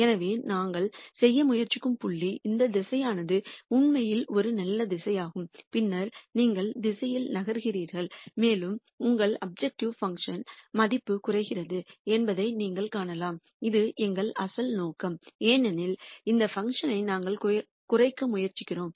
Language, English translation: Tamil, So, the point that we are trying to make is this direction is actually a good direction and then you move in the direction and you find that your objective function value decreases which is what which was our original intent because we are trying to minimize this function